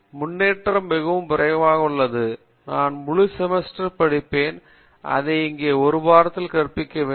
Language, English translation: Tamil, Progress is so rapid that what I learnt for entire semester, I need to teach it within 1 week here